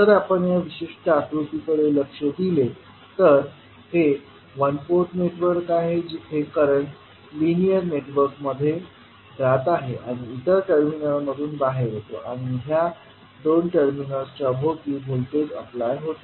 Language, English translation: Marathi, So, if you look at this particular figure, this is one port network where the current goes in to the linear network and comes out from the other terminal and voltage is applied across these two terminals